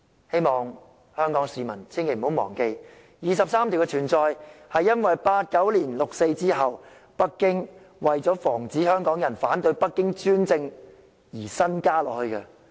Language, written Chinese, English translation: Cantonese, 希望香港市民千萬不要忘記第二十三條的存在是因為1989年六四事件後，北京為防止香港人反對其專政而新增的。, I hope Hong Kong people will not forget that Article 23 was added because Beijing wanted to prevent Hong Kong people from resisting its authoritarian rule after the 4 June Incident in 1989